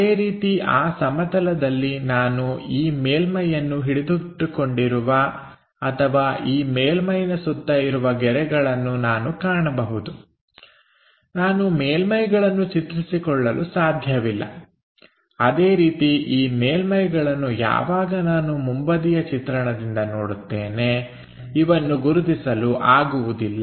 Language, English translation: Kannada, Similarly, on that plane I can not visualize this surface, though I can visualize these lines bounding this surface I can not visualize these surfaces, similarly I can not identify these surfaces when I am looking from front view